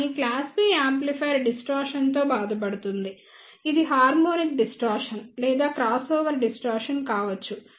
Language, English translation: Telugu, But the class B amplifier suffers from the distortion which could be the harmonic distortion or the crossover distortion